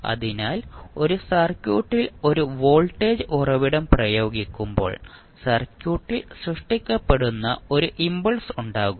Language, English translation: Malayalam, So, when you apply a voltage source to a circuit there would be a sudden impulse which would be generated in the circuit